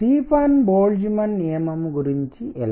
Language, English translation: Telugu, How about Stefan Boltzmann’s law